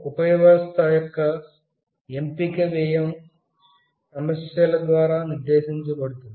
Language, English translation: Telugu, The choice of the subsystem may be dictated by cost issue